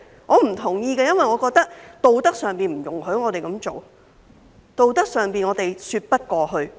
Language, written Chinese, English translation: Cantonese, 我不同意，因為我認為道德上不容許我們這樣做，道德上我們說不過去。, I do not agree with this as I do not think we are allowed to do so morally and we cannot justify it on the moral side